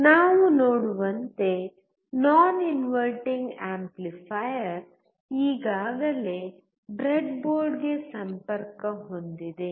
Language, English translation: Kannada, As we see, the non inverting amplifier is already connected to the breadboard